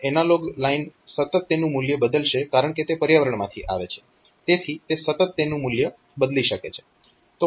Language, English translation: Gujarati, So, analog line will continually change it is value because it is coming from the environment so, it can continually change it is value